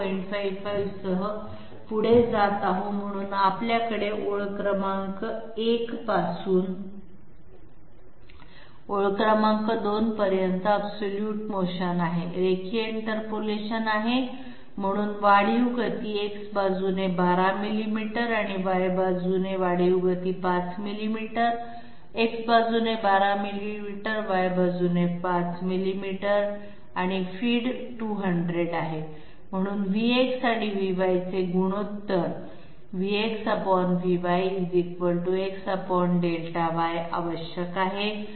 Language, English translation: Marathi, 55, so as we are having absolute motion the incremental motion from line number 1 to line number I mean against line number 2 the incremental motion along X is 12 millimeters and the incremental motion along Y is 5 millimeters, 12 millimeters along X, 5 millimeters along Y and feed is 200, so feed should be divided sorry the ratio of V x by V y is required